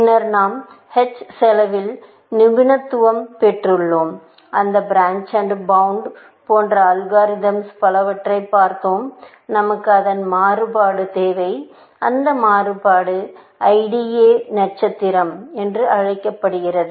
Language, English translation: Tamil, Since, we have graduated to h cost and we looked that algorithm like, branch and bound, and so on; we need a variation of that and that variation is called IDA star